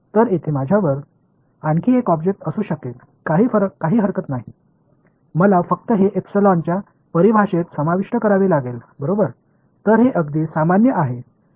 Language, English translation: Marathi, So, I can have one another object over here no problem, I just have to include that in the definition of epsilon ok so, this is very general